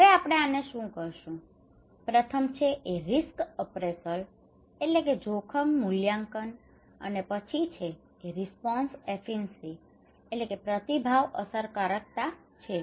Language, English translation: Gujarati, Now what we call this one, first is risk appraisal then is response efficacy